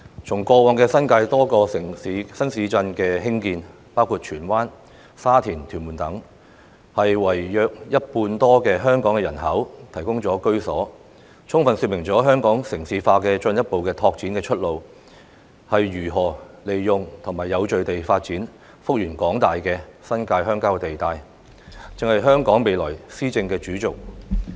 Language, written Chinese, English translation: Cantonese, 從過往新界多個新市鎮的興建，包括荃灣、沙田及屯門等，為約一半多的香港人口提供了居所，充分說明了香港城市化進一步拓展的出路，便是如何利用及有序地發展幅員廣大的新界鄉郊地帶，這就是香港未來的施政主軸。, A number of new towns in the New Territories including Tsuen Wan Sha Tin and Tuen Mun have been developed over the years to provide homes more than half of Hong Kongs population which has adequately shown that the key to the further development of Hong Kongs urbanization lies in how to optimize the development of the vast expanses of rural land in the New Territories in an orderly manner . This is the principal axis for the future administration of Hong Kong